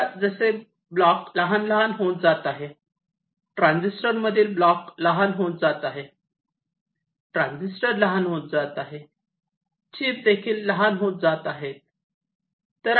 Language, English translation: Marathi, now, as the blocks becomes smaller and smaller, blocks in the transistor, you can say the transistor is becoming smaller, the chips are also becoming smaller